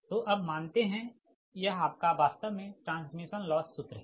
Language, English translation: Hindi, so consider, now this is actually transmission loss formula, right